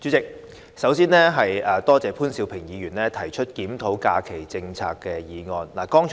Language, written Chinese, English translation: Cantonese, 代理主席，首先，多謝潘兆平議員提出"檢討假期政策"議案。, Deputy President first of all I would like to thank Mr POON Siu - ping for moving the motion on Reviewing the holiday policy